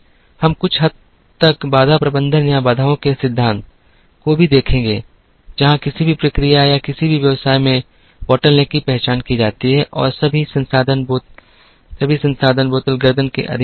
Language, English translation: Hindi, We also would look at a little bit of constraint management or theory of constraints, where the bottle neck in any process or any business is identified and all resources are subordinated to the bottle neck